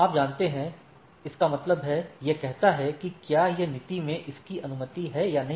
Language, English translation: Hindi, You know, that means, it says that whether in it is policy it is allowed or not